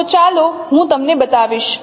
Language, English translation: Gujarati, So let me show you